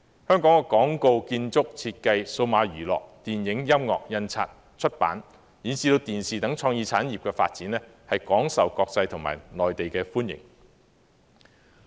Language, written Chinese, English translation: Cantonese, 香港的廣告、建築、設計、數碼娛樂、電影、音樂、印刷、出版及電視等創意產業的發展廣受國際和內地歡迎。, The development of Hong Kongs creative industries such as advertising architecture design digital entertainment film making music printing publishing and television is widely welcomed by the international community and the Mainland